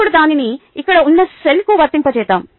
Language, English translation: Telugu, now let us apply it to a cell here